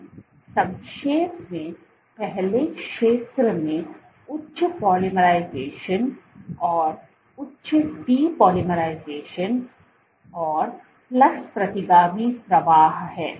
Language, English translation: Hindi, So, what you have, so in essence the first zone has high polymerization and high de polymerization plus fast retrograde flow